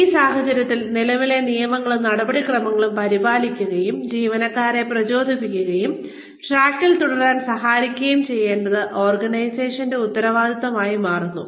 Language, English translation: Malayalam, In which case, it becomes the responsibility of the organization, to take care of the current policies and procedures, and help the employees, stay motivated and on track